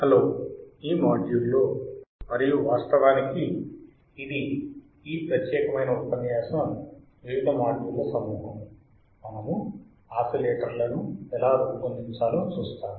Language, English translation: Telugu, Hello, in this module and it actually it is a set of modules for this particular lecture, we will see how we can design oscillators